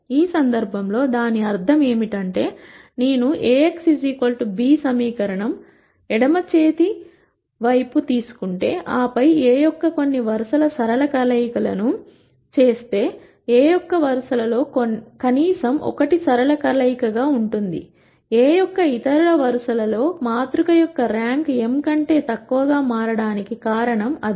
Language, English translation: Telugu, In this case what it means, is if I take the left hand side of the equation Ax equal to b, and then make some linear combinations of some rows of A, at least one of the rows of A is going to be a linear combination of the other rows of A; that is the reason why the rank of the matrix became less than m